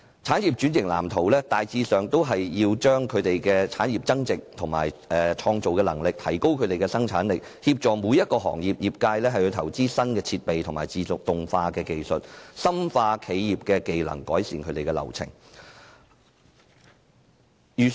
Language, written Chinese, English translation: Cantonese, 產業轉型藍圖大致上是要為產業增值、提高其創造力和生產力、協助每個行業投資新設備和自動化技術、深化企業技能，以及改善流程。, The industrial transformation blueprints generally seek to add values to industries increase their creativity and productivity assist industries in investing in new equipment and automation technology enhance the skills of enterprises and improve business processes